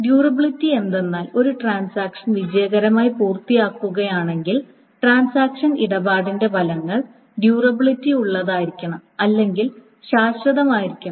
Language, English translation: Malayalam, So the durability part is that if a transaction finishes successfully, then the effects of the transaction must be durable or must be permanent